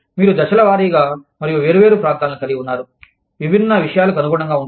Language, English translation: Telugu, You phase out, and have different regions, adapt to different things